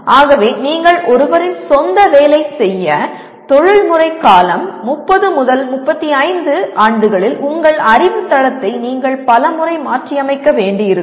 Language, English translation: Tamil, So for you to work in one’s own let us say professional period, career period like 30 35 years, you may have to overhaul your knowledge base many times